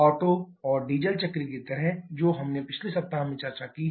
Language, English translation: Hindi, Like the Otto and Diesel cycle that we have discussed in the previous week